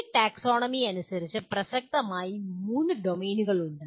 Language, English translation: Malayalam, As per this taxonomy, there are three domains of concern